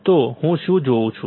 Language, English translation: Gujarati, So, what will I see